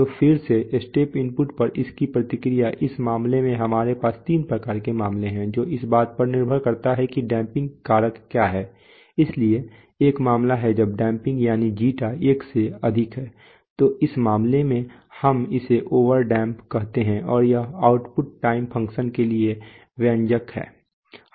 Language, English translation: Hindi, So again its response to the step input, in this case we have three kinds of cases depending on what is the damping factor, so one case is when the damping, that is zeta is greater than one, in which case we call it an over damped system and this is the expression for the output time function